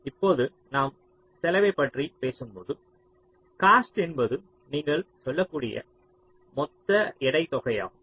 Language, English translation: Tamil, now, when i talk about cost, cost means the total weight sum